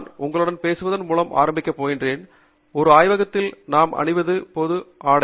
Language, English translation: Tamil, I will begin by discussing with you the general apparel that we wear in a lab